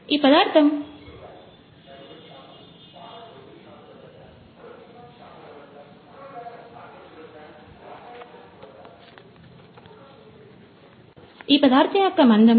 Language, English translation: Telugu, So, the thickness of this material is 2